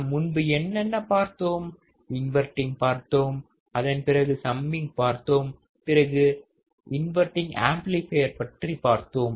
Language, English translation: Tamil, What we have seen earlier inverting, then we have seen summing, then we have seen non inverting amplifier right